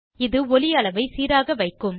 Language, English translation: Tamil, This will keep the audio volume consistent